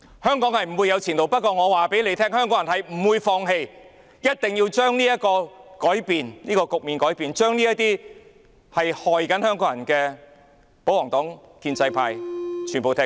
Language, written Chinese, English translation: Cantonese, 香港不會有前途，但香港人不會放棄，一定會將這個局面改變，將這些危害香港人的保皇黨、建制派全部趕走。, Hong Kong will have no future but Hong Kong people will not give up . We will surely change the situation and drive away all royalists and members of the establishment camp who have harmed the people of Hong Kong